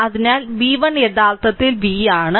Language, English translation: Malayalam, So, v 1 actually v 1 actually is equal to v